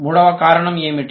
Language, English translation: Telugu, What was the third reason